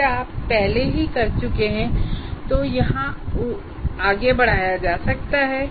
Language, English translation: Hindi, If we have already done that, those things can be carried forward here